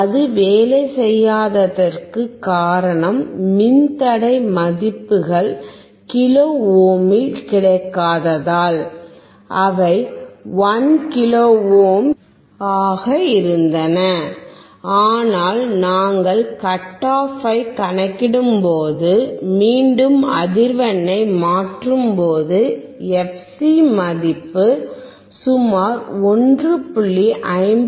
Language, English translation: Tamil, It was not working because the resistors value were not get that in kilo ohm and in fact, they were 1 kilo ohms, but when we converted back to when we when we calculated our cut off frequency value then we found that the fc value is about 1